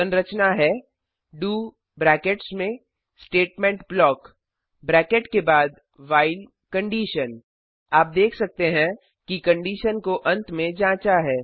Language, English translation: Hindi, The structure is do statement block after the bracket the while You can see that the condition is checked at the end